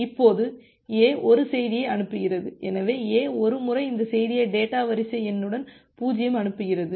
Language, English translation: Tamil, Now A sends 1 message; so, once A sends this message, this data with sequence number 0